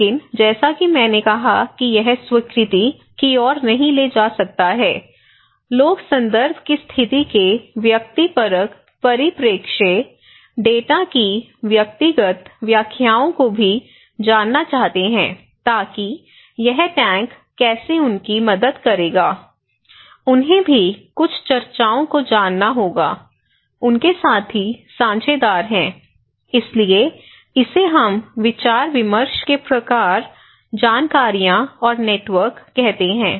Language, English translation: Hindi, But as I said that it cannot lead to the adoption, people also want to know the subjective perspective, personal interpretations of the data, of the situation of the context so, how this tank would help them, they also need to know some discussions with their fellow partners, so this is we called discussions informations, type of informations and network